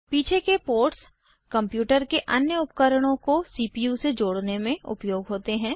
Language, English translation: Hindi, The ports at the back, are used for connecting the CPU to the other devices of the computer